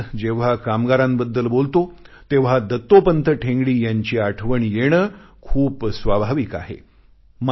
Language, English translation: Marathi, Today when I refer to workers, it is but natural to remember Dattopant Thengdi